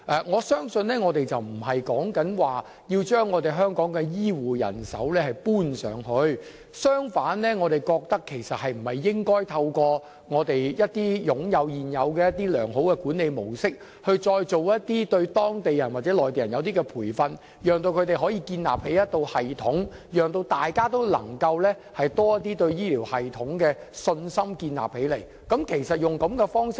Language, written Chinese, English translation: Cantonese, 我相信我們不是要把香港的醫護人手帶到內地，相反我們覺得應該透過現時擁有的良好管理模式，對當地人或內地人作出培訓，讓他們可以建立一套系統，讓大家也能夠對醫療系統建立多一點信心。, I believe we are not sending Hong Kongs health care manpower to the Mainland . On the contrary we think that through our existing good management model we should help train up the Mainland personnel so that they can set up a health care system in which people can have more confidence